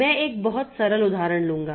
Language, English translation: Hindi, I will take a very simple example